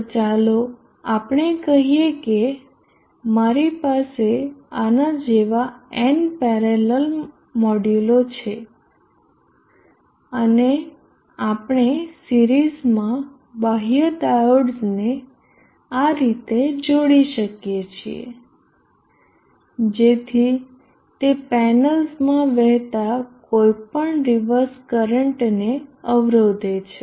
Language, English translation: Gujarati, So let us say I have n modules in parallel like this and we can connect external diodes in series like this, such that it blocks any reverse current flowing into the panels